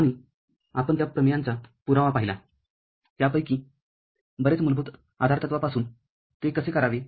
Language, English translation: Marathi, And we saw proof of those theorems from many of them, how to do it from the basic postulates